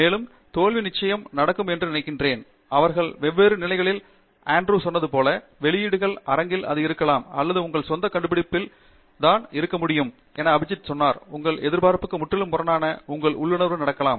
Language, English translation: Tamil, And I think failures definitely are bound to happen, and they can happen at different stages, like Andrew said, it could be at the publication stage or it could be just in your own discovery as Abijith said, something completely contrary to your expectation, to your intuition can happen